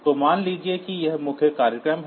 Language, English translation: Hindi, So, suppose this is the main program